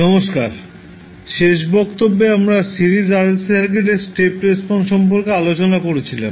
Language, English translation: Bengali, Namaskar, In the last class we were discussing about the Step Response of Series RLC Circuit